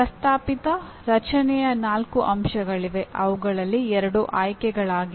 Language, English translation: Kannada, There are four elements of the proposed structure of which two are optional